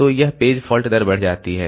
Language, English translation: Hindi, So, this page fault rate increases